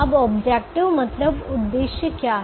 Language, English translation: Hindi, now what is the objective